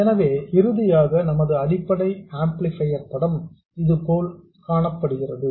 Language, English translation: Tamil, So, finally, the picture of our basic amplifier looks like this